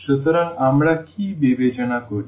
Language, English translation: Bengali, So, what do we consider